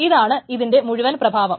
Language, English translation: Malayalam, So, this is the whole effect of this